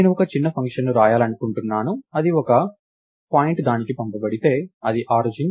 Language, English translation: Telugu, So, lets say I want to write a small function which is trying to find out, if a point thats passed on to it, is it the origin